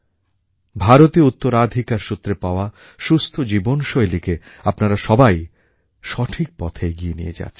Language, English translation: Bengali, All of you are carrying forward the Indian tradition of a healthy life style as a true successor